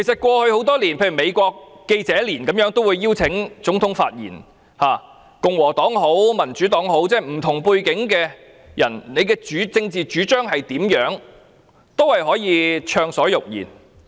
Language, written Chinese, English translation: Cantonese, 過去多年，美國記者年會都會邀請總統發言，無論是共和黨或民主黨的人，無論他們有何政治主張，均可暢所欲言。, Over the past years Presidents of the United States be they Republican or Democrat and regardless of their political stance had been invited to speak their mind freely at the annual White House Correspondents Association dinner